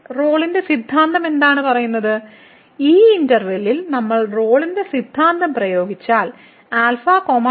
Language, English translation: Malayalam, So, what Rolle’s Theorem says, if we apply the Rolle’s Theorem to this interval alpha and beta